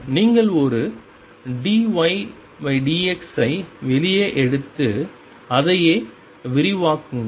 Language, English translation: Tamil, You do exactly the same thing you take one d y d x out and then expand this